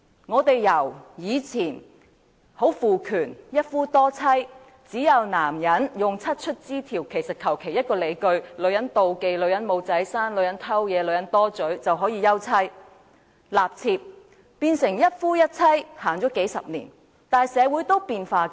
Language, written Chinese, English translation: Cantonese, 我們由以前的父權社會，一夫多妻，男人可以用"七出之條"或隨便以一個理由，例如女人妒忌、女人不能生育、女人偷竊或女人說話多便可以休妻立妾，演變成一夫一妻，至今已實行數十年，但社會仍在變化中。, From a patriarchal society formerly where polygamy was upheld and a man could divorce his wife or take on a concubine on any of the seven grounds for divorce such as his wife being jealous failing to give birth committing theft or gossiping the system of monogamy was subsequently developed and has been implemented for a few decades but society is still changing